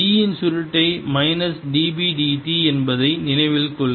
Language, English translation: Tamil, recall that curl of e is minus d b d t